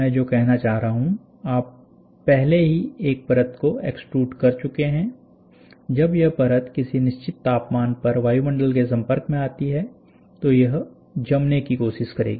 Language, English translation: Hindi, So, what I am trying to say is, you have already extruded one layer and this layer when it is expose to the atmosphere at certain temperature it will try to solidify